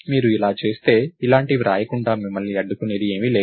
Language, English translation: Telugu, If you do this, there is nothing which will stop you from writing something like this